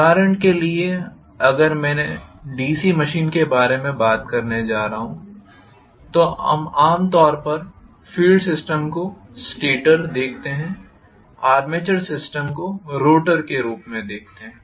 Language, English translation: Hindi, For example, if I am going to talk about DC machine, normally we will see the field system to be the stator, armature system to be the rotor